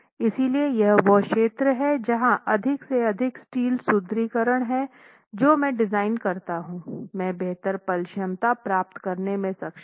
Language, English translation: Hindi, So, that's the zone where with more and more steel reinforcement that I design, I will be able to get better moment capacity